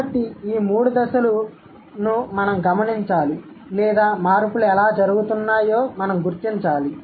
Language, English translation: Telugu, So, these three stages we have to observe or we have to figure out how the changes are happening